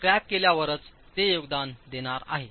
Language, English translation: Marathi, It's only after the cracking that it's going to contribute